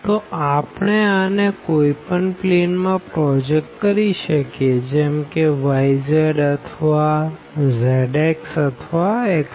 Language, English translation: Gujarati, So, though we can we can project this to any one of these planes we either y z or z x or x y